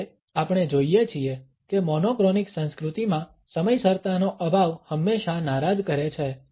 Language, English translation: Gujarati, However we find that in monochronic culture’s lack of punctuality is always frowned upon